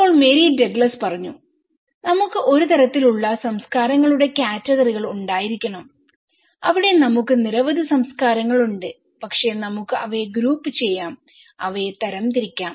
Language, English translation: Malayalam, Now, Mary Douglas was saying that we need to have a kind of categories of cultures, there we have many cultures but we can group them, categorize them